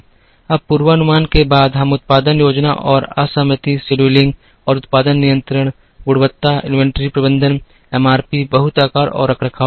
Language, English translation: Hindi, Now, after forecasting, we will do production planning and disaggregation, scheduling and production control, quality, inventory management, MRP, lot sizing and maintenance